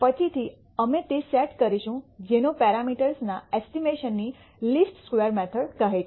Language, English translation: Gujarati, Later on, we will set up what is called the least squares method of estimating parameters